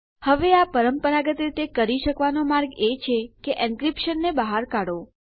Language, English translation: Gujarati, Now the way we can do it traditionally is by taking out our encryption